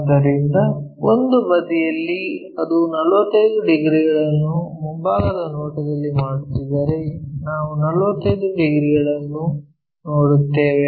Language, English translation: Kannada, So, one of the sides if it is making 45 degrees in the front view we will see that 45 degrees